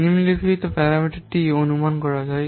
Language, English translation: Bengali, The following parameters can be estimated